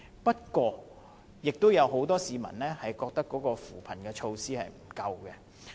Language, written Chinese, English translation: Cantonese, 不過，亦有很多市民覺得扶貧措施不足。, However many people also find poverty alleviation measures inadequate